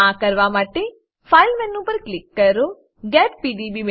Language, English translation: Gujarati, To do so, click on File menu, scroll down to Get PDB